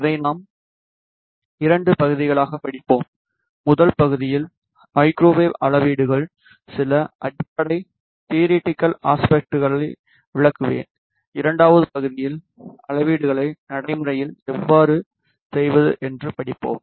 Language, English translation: Tamil, We will study this into parts, in first part I will explain some fundamental theoretical aspects of microwave measurements and in the second part we will study how to do the measurements practically